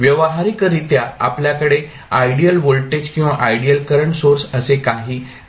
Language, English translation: Marathi, Practically, we do not have something called ideal voltage or ideal current source